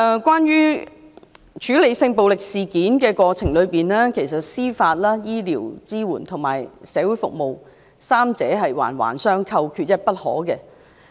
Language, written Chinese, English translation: Cantonese, 關於處理性暴力事件的過程，其實司法、醫療及社會服務支援三者環環相扣，缺一不可。, Regarding the process of dealing with sexual violence incidents the judicial medical and social services supports are actually interconnected and all indispensable